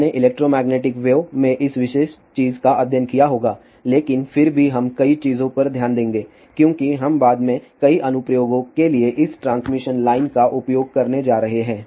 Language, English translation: Hindi, You might have studied this particular thing in electromagnetic waves but still we will look into some of the things as we are going to use these transmission line for several applications later on